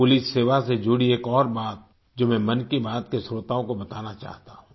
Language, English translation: Hindi, There is one more thing related to police service that I want to convey to the listeners of 'Mann Ki Baat'